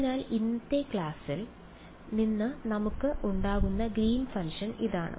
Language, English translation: Malayalam, So, this is the Green’s function that we had from yesterday’s class right